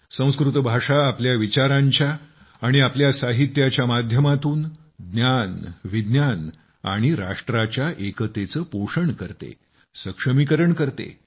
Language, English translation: Marathi, Through its thoughts and medium of literary texts, Sanskrit helps nurture knowledge and also national unity, strengthens it